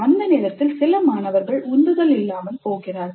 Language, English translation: Tamil, By that time some of the students do get demotivated